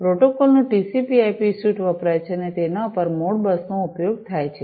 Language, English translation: Gujarati, So, TCP/IP suite of protocols is used and on top of that the Modbus is used